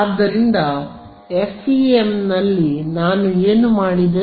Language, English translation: Kannada, So, in the FEM what did I do